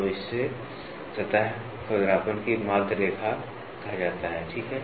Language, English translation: Hindi, So, that is called as mean line of surface roughness, ok